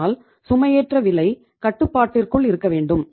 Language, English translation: Tamil, So loading cost has to be within control